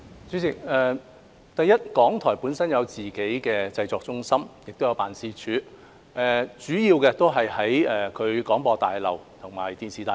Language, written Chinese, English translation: Cantonese, 主席，首先，港台本身有自己的製作中心和辦事處，主要位於廣播大廈和電視大廈。, President first RTHK has its own production centres and offices which are mainly located at Broadcasting House and Television House